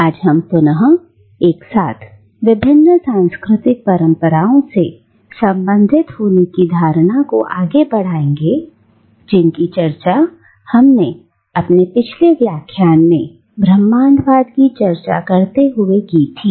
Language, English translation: Hindi, Today we will again pick up the notion of belonging simultaneously to multiple cultural traditions which we discussed in our previous lecture while talking about cosmopolitanism